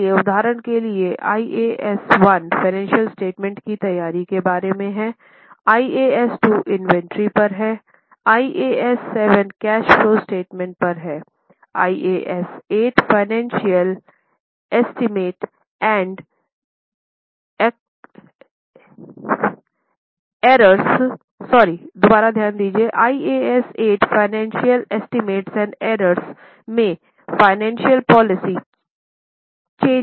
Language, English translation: Hindi, So, for example, IAS 1 is about preparation of financial statements, IAS 2 is on inventory, IAS 7 is on cash flow statements, IAS 8 is on accounting policy changes in the financial estimates and errors